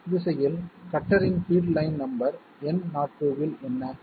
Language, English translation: Tamil, What is the feed of the cutter in the X direction in line number N02